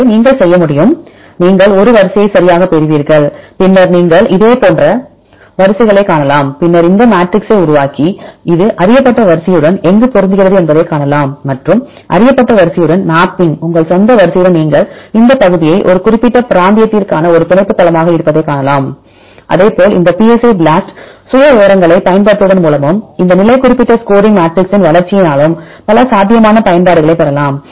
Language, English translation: Tamil, So, what you what can we do you will get a sequence right, then you can see the similar sequences and then we can make this matrix and see where it will matches with the known sequence and mapping with the known sequence with your own sequence you can see this region could be a probable binding site for your particular region likewise you can have several potential applications by using these psi BLAST profiles and the development of these position specific scoring matrices